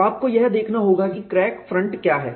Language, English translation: Hindi, So, you have to look at what is the crack front